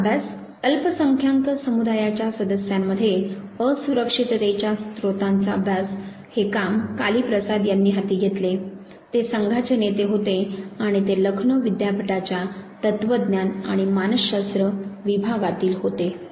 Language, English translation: Marathi, Second study, the study of sources of insecurity among members of a minority community, this work was taken up by Kali Prasad, he was a team leader and he was from the department of philosophy and psychology from Lucknow university